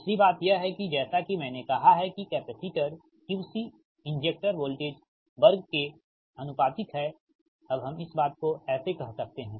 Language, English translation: Hindi, second thing is, as i said, capacitor that q c injector is proportional to the voltage square